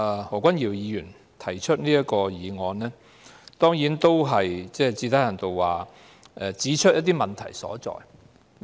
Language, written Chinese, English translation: Cantonese, 何君堯議員今天提出這項議案，最低限度指出了制度的問題所在。, Dr Junius HO has moved this motion today pointing to the problems of the System at least